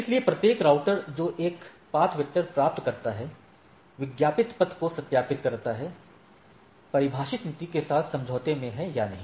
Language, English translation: Hindi, So, each router that receives a path vector verifies the advertised path is in the agreement with defined policy or not